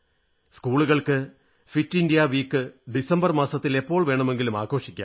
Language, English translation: Malayalam, Schools can celebrate 'Fit India week' anytime during the month of December